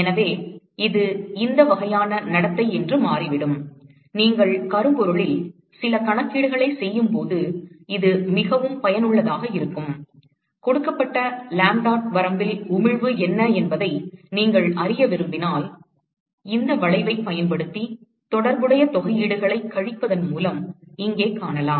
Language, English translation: Tamil, So, it turns out that this is the kind of behaviour so; it is particularly useful when you are doing certain calculations on blackbody, if you want to know what is the emission at a given range of lambdaT then you can simply find out using this curve here by subtracting the corresponding integrals